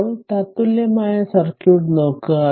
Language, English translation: Malayalam, Now, look at the equivalent circuit